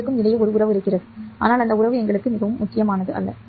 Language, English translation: Tamil, There is a relationship between the two, but that relationship is not very important for us at this point